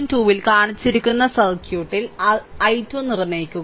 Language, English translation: Malayalam, Determine i 2 in the circuit shown in figure this 3